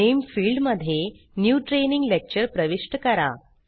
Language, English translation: Marathi, In the Name field, enter New Training Lecture